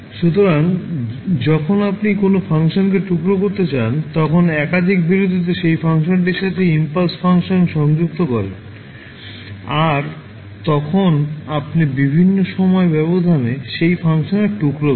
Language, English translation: Bengali, So, when you want to sample a particular function, you will associate the impulse function with that function at multiple intervals then you get the sample of that function at various time intervals